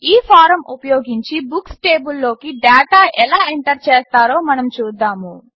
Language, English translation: Telugu, Let us see how we can enter data into the Books table, using this form